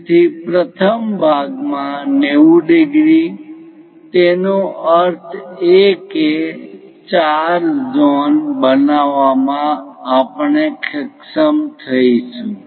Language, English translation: Gujarati, So, first part 90 degrees; that means, four zone we will be in a position to construct it